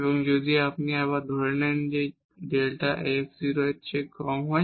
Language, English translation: Bengali, So, here assuming this f x is less than 0